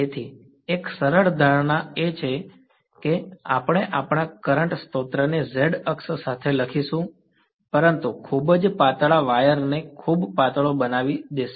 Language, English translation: Gujarati, So, one of the simplifying assumptions will be we’ll take our current source to be let us say along the z axis, but very thin will make the wire to be very thin ok